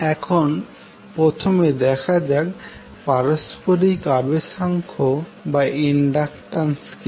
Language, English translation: Bengali, So now let us see first what is the mutual inductance